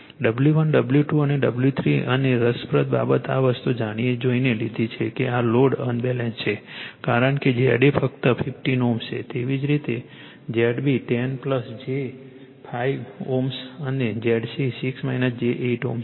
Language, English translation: Gujarati, W 1 W 2 and W 3 and interesting thing this thing you have intentionally taken the this load is Unbalanced because Z a is simply 15 ohm , similarly Z b is 10 plus j 5 ohm and Z 6 minus j 8 ohm